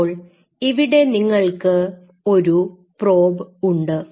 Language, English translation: Malayalam, Now, here you are having the probe